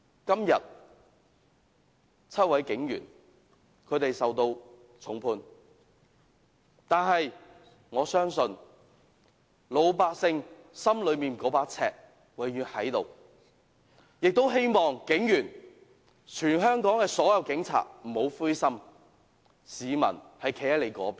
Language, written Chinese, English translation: Cantonese, 今天 ，7 名警員受到重判，但我相信老百姓心內那把尺永遠存在，希望全港所有警察不要灰心，市民是站在他們的一方的。, Today seven police officers are given a heavy sentence yet I trust that the general public have a yardstick in their mind and I hope all police officers in Hong Kong will not feel discouraged for the public are on their side